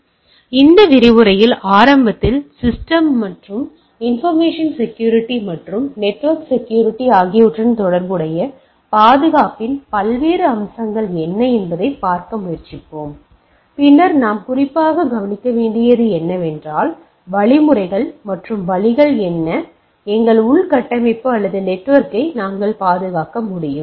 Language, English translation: Tamil, So, in this lecture we will initially will try to look at that what are the different aspects of security, which is related to computer and information security, and network security also and then what specifically we need to look at the, how what are the mechanisms and way we can make our infrastructure or the network secured